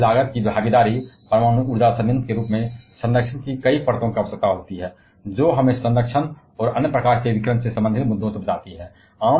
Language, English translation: Hindi, The high capital cost involvement, nuclear power plant as that requires several layers of protection to protect us from the containment, and other kind of radiation related issues